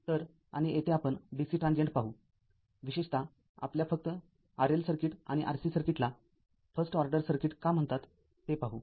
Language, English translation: Marathi, So, and here we will see the dc transient particularly the your ah R L circuit and R C circuit ah only the we will see that why it is called first order circuit also